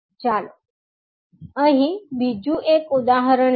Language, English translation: Gujarati, Now, let us take another example here